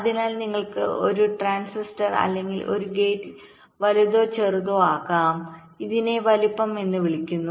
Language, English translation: Malayalam, so you can make a transistor or a gate bigger or smaller